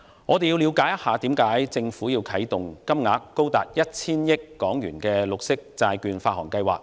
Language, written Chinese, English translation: Cantonese, 我們先要了解政府為何要啟動金額高達 1,000 億港元的綠色債券發行計劃。, We have to understand in the first place why the Government launches the Government Green Bond Programme for borrowing sums up to HK100 billion